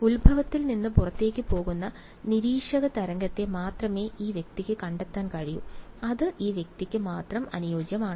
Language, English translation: Malayalam, This fellow can only find observer wave that is out going from the origin which is matched only by this guy ok